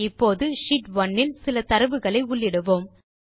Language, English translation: Tamil, Now lets enter some data in Sheet 1